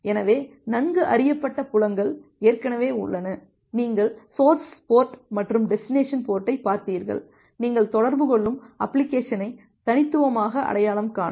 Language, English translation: Tamil, So, the well known fields are already there, that you have looked into the source port and the destination port, to uniquely identify the application through which you are making a communication